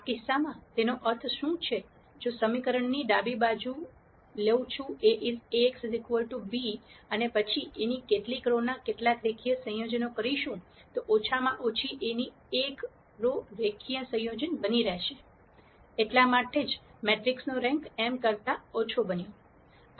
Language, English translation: Gujarati, In this case what it means, is if I take the left hand side of the equation Ax equal to b, and then make some linear combinations of some rows of A, at least one of the rows of A is going to be a linear combination of the other rows of A; that is the reason why the rank of the matrix became less than m